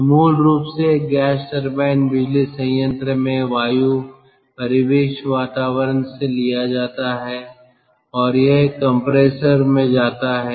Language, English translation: Hindi, so basically, in a gas turbine power plant, air is taken, air is taken from the ambient atmosphere and it goes to a compressor